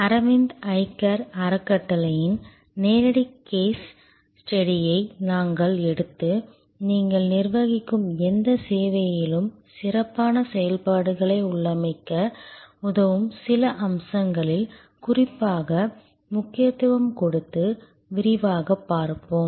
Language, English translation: Tamil, We will take up that live case study on Aravind Eye Care Foundation and look into it in detail with particular emphasis on certain aspects, which will help you to configure, processes versus excellence in any service that you manage